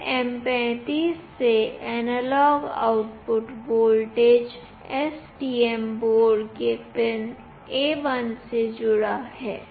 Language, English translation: Hindi, The analog output voltage from LM35 is connected to pin A1 of the STM board